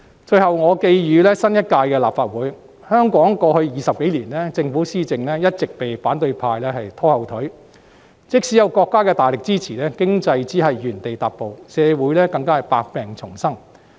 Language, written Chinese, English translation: Cantonese, 最後，我寄語新一屆立法會，香港在過去20多年來，政府施政一直被反對派拖後腿，即使有國家大力支持，經濟只能原地踏步，社會更是百病叢生。, Finally let me convey a message to Legislative Council Members in the new term as follows In the past 20 years or so the governance of the Hong Kong Government has all along been impeded by the opposition camp and even with the strong support from the country local economy has made no progress while our society is plagued with problems